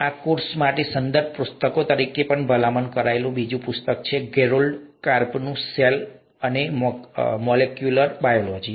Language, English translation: Gujarati, Another book that is also recommended as a reference book for this course is “Cell and Molecular Biology” by Gerald Karp